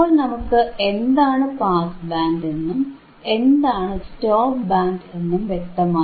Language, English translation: Malayalam, We know what is pass band, we know what is stop band we also know, correct